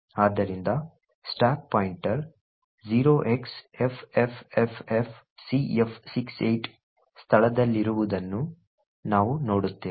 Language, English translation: Kannada, So, we also see that the stack pointer is at the location 0xffffcf68